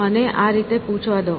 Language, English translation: Gujarati, Let me ask in this way